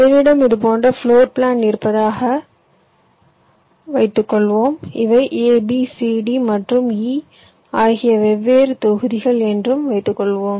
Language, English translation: Tamil, suppose i have floor plan like this, and these are the different blocks: a, b, c, d and e